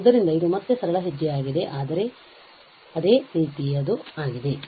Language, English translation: Kannada, So, it is a simple steps again, but the similar one